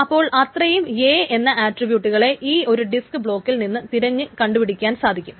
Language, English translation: Malayalam, So that many number of attribute A's can be searched by accessing one disk block